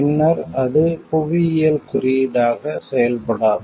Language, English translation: Tamil, Then it is no longer function as a geographical indicator